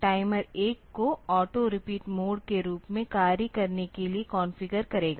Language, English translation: Hindi, So, it will configure this timer 1 to act as auto repeat mode